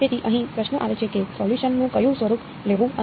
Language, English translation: Gujarati, So, here comes the question of which form of the solution to take and why